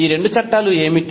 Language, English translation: Telugu, What are these two laws